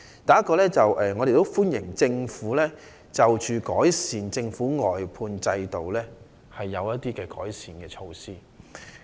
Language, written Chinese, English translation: Cantonese, 第一，我們歡迎政府就外判制度推出的一些改善措施。, First we welcome the Governments introduction of certain measures for improving the outsourcing system